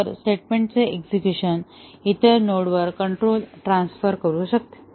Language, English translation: Marathi, If execution of a statement can transfer control to the other node